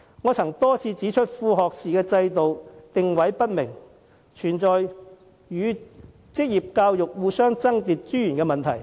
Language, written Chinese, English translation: Cantonese, 我曾多次指出，副學士制度定位不明，導致與職業教育互相爭奪資源的問題。, I have pointed out on many occasions that the positioning of the associate degree system is not clear so that its competition for resources with vocational education is resulted